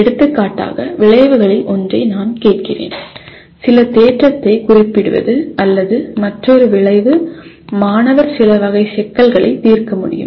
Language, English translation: Tamil, For example I ask one of the outcome is to state some theorem or another outcome could be the student should be able to solve certain class of problems